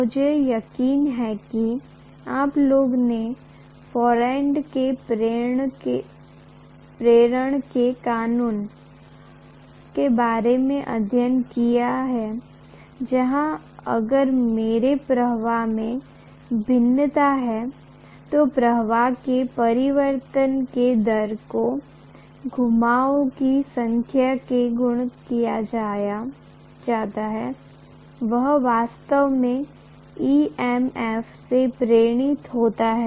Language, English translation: Hindi, I am sure you guys have studied about Faraday’s law of induction where if I have a variation in the flux, the rate of change of flux multiplied by the number of turns actually gives me ultimately whatever is the EMF induced